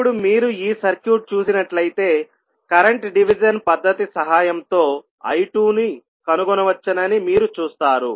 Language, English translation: Telugu, Now, if you see this particular circuit, you will see that the I2 value that is the current I2 can be found with the help of current division method